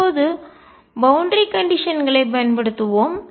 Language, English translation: Tamil, Now let us apply boundary conditions